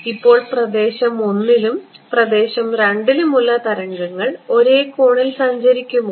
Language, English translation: Malayalam, Now, region I and region II will the waves be travelling at the same angle